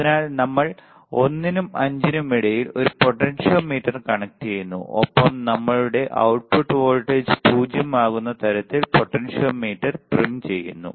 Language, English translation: Malayalam, So, we connect a potentiometer between 1 and 5 and we trim the voltage right trim the potentiometer such that our output voltage would be 0